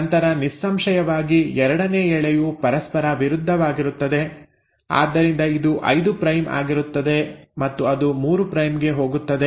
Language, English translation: Kannada, Then obviously the second strand is going to be antiparallel, so this will be 5 prime and it will go 3 prime